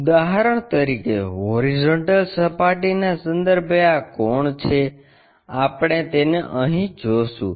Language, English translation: Gujarati, For example, this angle with respect to horizontal we will see it here